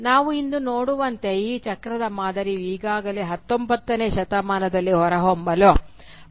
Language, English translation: Kannada, And as we shall see today, this cyclical pattern already started emerging quite early during the 19th century